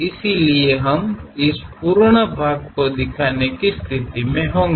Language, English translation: Hindi, So, we will be in a position to see this complete portion